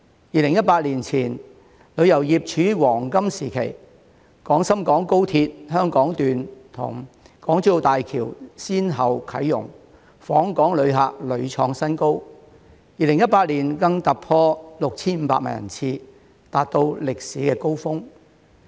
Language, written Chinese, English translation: Cantonese, 2018年前，旅遊業處於黃金時期，廣深港高鐵香港段與港珠澳大橋先後啟用，訪港旅客屢創新高 ，2018 年更突破 6,500 萬人次，達到歷史高峰。, It was in its heyday before 2018 . The commissioning of the Hong Kong section of the Guangzhou - Shenzhen - Hong Kong Express Rail Link followed by the Hong Kong - Zhuhai - Macao Bridge led to new highs in the number of visitors to Hong Kong which even exceeded 65 million in 2018 reaching a historical peak